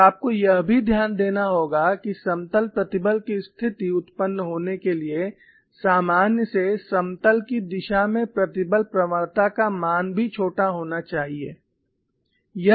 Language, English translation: Hindi, And you will also have to note, for a state of plane stress to occur the stress gradients in the direction of normal to the plane must also be negligibly small